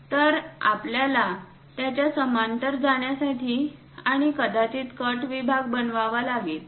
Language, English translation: Marathi, So, we have to move parallel to that and perhaps make a cut section